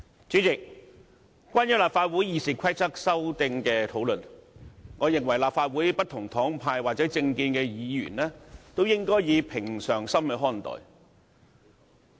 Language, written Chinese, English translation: Cantonese, 主席，關於立法會《議事規則》修訂的討論，我認為立法會不同黨派或政見的議員均應以平常心看待。, President with regard to the discussions on the amendments proposed to the Rules of Procedure of the Legislative Council I opine that Members from different political parties or with different political views should look at these amendments with a calm mind